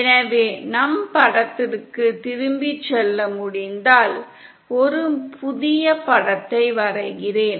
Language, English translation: Tamil, So if we can go back to our figure, let me draw a fresh figure